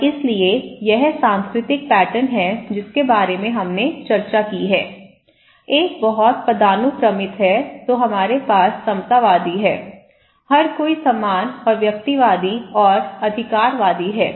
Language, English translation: Hindi, And so, this is the cultural pattern we discussed about, one is very hierarchical then we have egalitarian, everybody is equal and individualist and authoritarian right